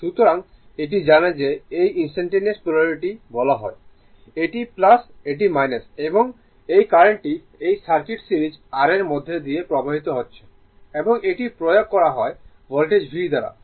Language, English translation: Bengali, So, this one you know this is instantaneous polarity says, this is plus this is minus right, and your this current is flowing through your flowing through this circuit series R and this is the by applied Voltage V